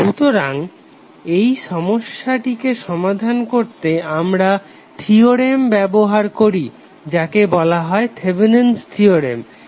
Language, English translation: Bengali, So to solve that problem we use the theorem called Thevenin’s theorem